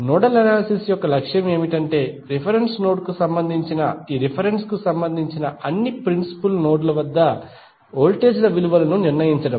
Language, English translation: Telugu, The nodal analysis objective is to determine the values of voltages at all the principal nodes that is with reference to reference with respect to reference node